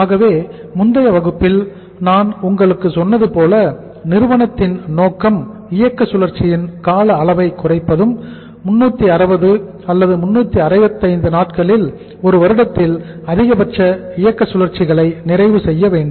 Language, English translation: Tamil, So there as I told you in the last class also the objective of the firm should be to minimize the duration of the operating cycle and to complete maximum operating cycles in a year, in a period of 360 or 365 days